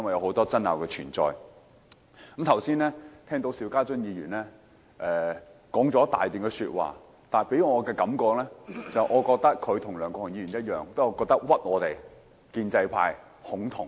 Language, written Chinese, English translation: Cantonese, 我剛才聽到邵家臻議員說了一大段說話，他給予我的感覺，就是他與梁國雄議員同樣在誣衊我們建制派"恐同"。, I listened to the long speech of Mr SHIU Ka - chun just now . He gave me the feeling that he was no different from Mr LEUNG Kwok - hung in the sense that he likewise groundlessly accused the pro - establishment camp of being homophobic